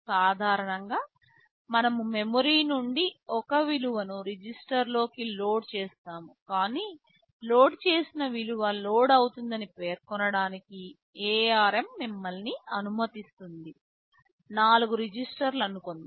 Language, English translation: Telugu, NLike normally we will load a value from memory into 1 a register, but ARM allows you to specify in such a way that the value loaded will be loaded into let us say 4 registers